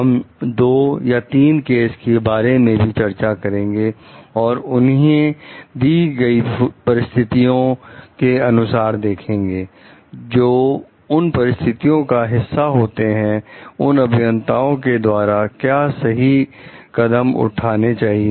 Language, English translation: Hindi, We will discuss two three cases also and try to see as in a given situation; what was the correct step to be taken by the engineers who were a part of that situation